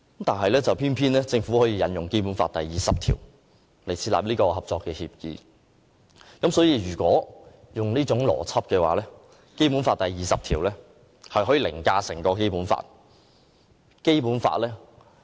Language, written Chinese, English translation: Cantonese, 但政府偏偏引用《基本法》第二十條設立合作協議，若按照這種邏輯，《基本法》第二十條便可凌駕整部《基本法》了。, However the Government insists on invoking Article 20 of the Basic Law to reach a cooperation agreement with the Mainland and with this kind of logic Article 20 can actually override the entire Basic Law